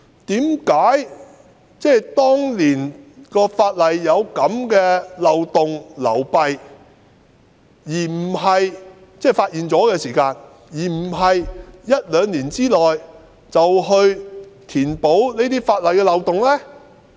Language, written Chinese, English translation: Cantonese, 當年發現法例有這樣的漏洞和流弊後，為何不在一兩年內填補法例的漏洞呢？, When this very loophole or flaw was found in the Ordinance back then why was the loophole not plugged in a year or two?